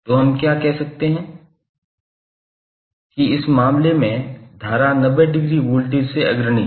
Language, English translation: Hindi, So what we can say that in this case current will lead voltage by 90 degree